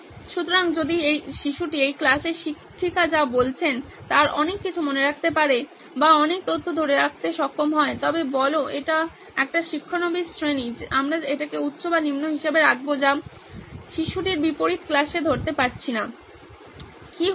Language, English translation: Bengali, So if the child is able to recall or able to retain a lot of information in a lot of what the teacher is saying in this class say it is a beginner class we will keep that as high and low is the opposite which is the kid is not able to catch up with class, what’s going on